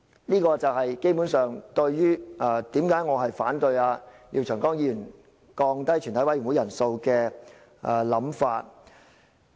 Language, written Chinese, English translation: Cantonese, "這就是我為何反對廖長江議員降低全體委員會人數的想法。, This is the reason why I oppose Mr Martin LIAOs idea of lowering the quorum of a Committee of the Whole Council